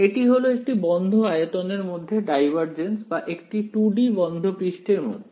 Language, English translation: Bengali, It is a divergence under a closed volume or in 2D closed surface